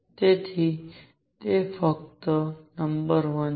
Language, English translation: Gujarati, So, that is fact number one